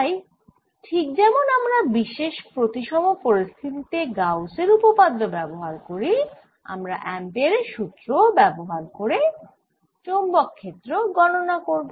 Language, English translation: Bengali, so just like we use gauss's in certain symmetric situations, we can also use ampere's law and symmetry situations to calculate the magnetic field